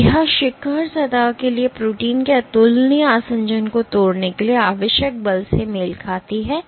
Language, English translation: Hindi, So, this peak corresponds to force required to break nonspecific adhesion of protein to surface